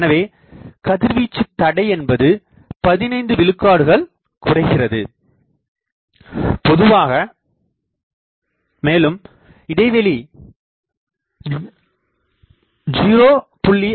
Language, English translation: Tamil, So, radiation resistance gets reduced by 15 percent if we have a spacing of 0